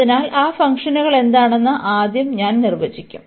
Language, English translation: Malayalam, So, first I will define what are those functions